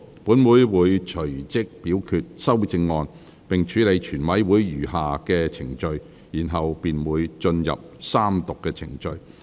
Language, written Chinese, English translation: Cantonese, 本會會隨即表決修正案並處理全體委員會的餘下程序，然後便會進入三讀程序。, We will immediately put the amendments to vote and deal with the remaining procedures of the committee of the whole Council . After that we will proceed to the Third Reading procedures